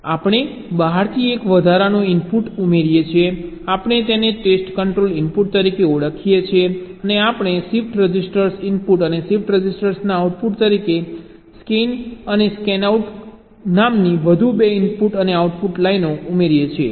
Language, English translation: Gujarati, we call it as the test control input and we add two more input and output lines called scanin and scanout as the input of the shift register and the output of the shift register